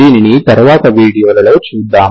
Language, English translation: Telugu, That we will see in the next videos